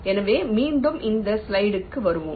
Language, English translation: Tamil, ok, so lets come back to this slide again